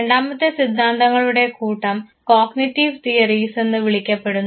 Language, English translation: Malayalam, The second sets of theories are called cognitive theories